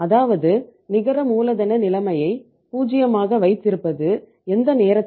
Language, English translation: Tamil, Means keeping the net working capital situation 0 it means any time